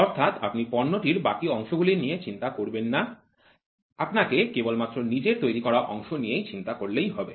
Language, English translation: Bengali, So, you do not worry about rest of the parts in the product, you worry only about your part